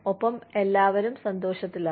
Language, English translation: Malayalam, And, everybody is happy